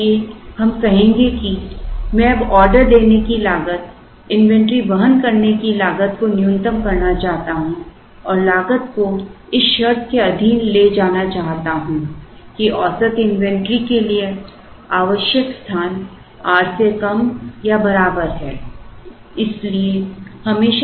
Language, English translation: Hindi, So, we will say that I now want to minimize the sum of ordering cost and carrying cost subject to the condition that the space required by the average inventory is less than or equal to, some R